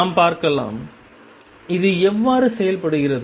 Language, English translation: Tamil, Let us see; how does this work out